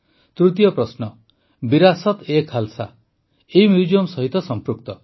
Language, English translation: Odia, The third question 'VirasateKhalsa' is related to this museum